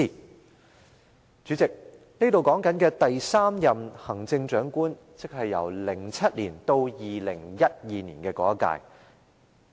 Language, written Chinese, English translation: Cantonese, 代理主席，這裏提到的第三任行政長官，是2007年至2012年的那一屆。, Deputy President the third Chief Executive mentioned here actually refers to the term from 2007 to 2012